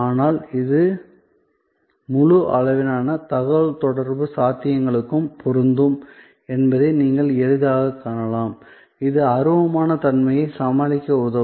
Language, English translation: Tamil, But, actually you can easily see that, this will apply to the entire range of communication possibilities, that can help us overcome intangibility